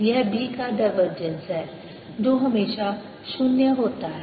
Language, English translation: Hindi, it is divergence of b, which is always zero